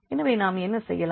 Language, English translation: Tamil, So, what we will get